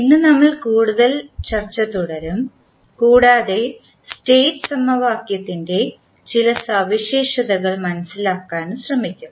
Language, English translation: Malayalam, Today we will continue our discussion further and we will try to understand few properties of the State equation